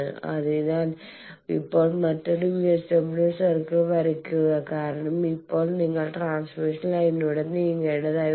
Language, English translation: Malayalam, So, now, draw another VSWR circle because now you will have to move along the transmission line